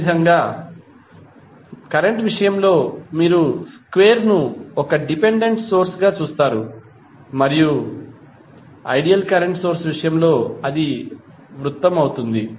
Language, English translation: Telugu, Similarly, in case of current you will see square as a dependent current source and in case of ideal current source it will be circle